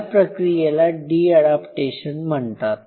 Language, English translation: Marathi, This process is called the de adaptation